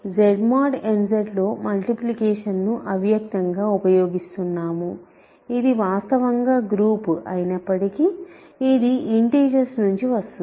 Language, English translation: Telugu, So, we are implicitly using the multiplication in Z mod n Z right because though its actually group, but because its coming from integers multiplication is actually just addition